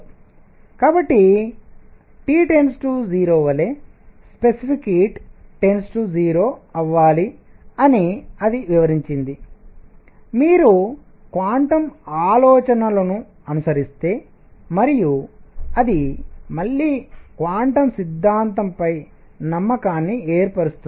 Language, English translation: Telugu, So, that explained that specific heat should go to 0 as T goes to 0, if you follow quantum ideas and that again established the trust in quantum theory